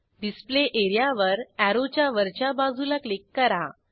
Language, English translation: Marathi, Click on the Display area above the arrow